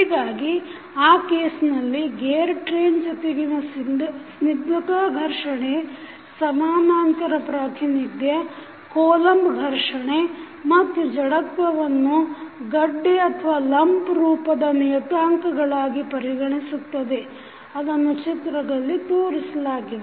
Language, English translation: Kannada, So, in that case the equivalent representation of the gear train with viscous friction, Coulomb friction and inertia as lumped parameters is considered, which is shown in the figure